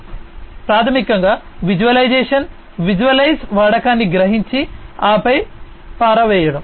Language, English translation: Telugu, So, one is basically visualization visualize explain perceive use and then dispose